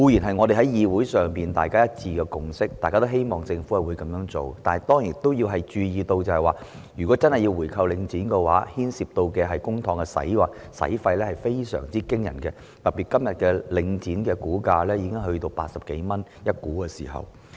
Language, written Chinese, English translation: Cantonese, 這固然是議會內大家一致的共識，大家也希望政府會這樣做，但當然要注意到，政府如果真的回購領展，所牽涉的公帑費用會是非常驚人的，特別是現時領展的股價已經達每股80多元。, This is certainly a consensus reached unanimously by Members of this Council as we all hope that the Government will do so . But of course it should be noted that if the Government really bought back Link REIT an extremely huge amount of public money would be involved especially as the share price of Link REIT is already over 80 per share now